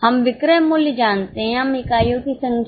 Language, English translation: Hindi, We know the number of units